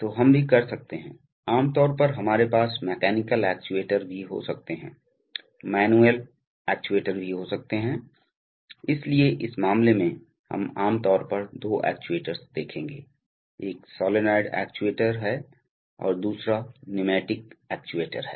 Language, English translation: Hindi, So we can also, typically we can also have mechanical actuators, also manual actuators, so in this case, we will typically look at two actuators, one is a solenoid actuator and the other is an pneumatic actuator